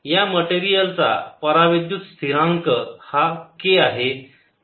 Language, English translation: Marathi, this side has dielectric constant k